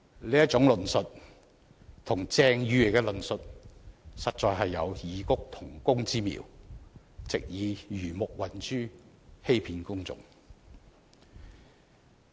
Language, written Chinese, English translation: Cantonese, 這種論述與鄭議員的論述實有異曲同工之妙，藉以魚目混珠、欺騙公眾。, The essence of that argument falls in the same vein as that of Dr CHENGs attempting to pass off something false as genuine and deceive the public